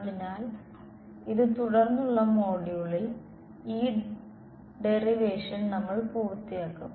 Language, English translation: Malayalam, So, this we will complete this derivation in the subsequent module ok